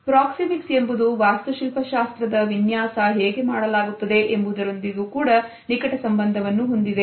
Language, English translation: Kannada, Proxemics also very closely related with the way architectural designs are put across